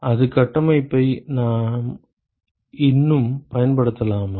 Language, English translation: Tamil, Can we still use the same framework